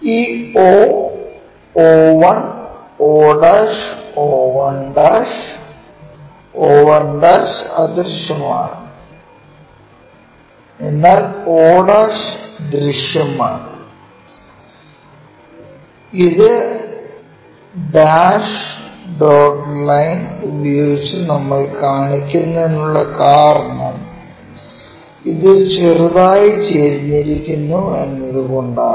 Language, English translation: Malayalam, This o, o 1, o', o one'; o 1' is invisible, o' is visible that is a reason we show it by dash dot line because it is slightly inclined